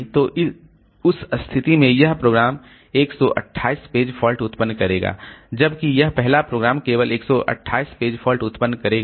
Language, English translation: Hindi, So in that case this program will generate 128 into 128 page faults whereas this first program will generate only 128 page faults